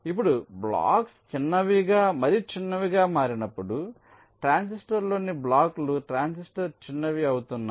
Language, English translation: Telugu, now, as the blocks becomes smaller and smaller, blocks in the transistor, you can say the transistor is becoming smaller, the chips are also becoming smaller